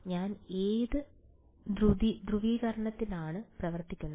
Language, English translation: Malayalam, What polarization am I working with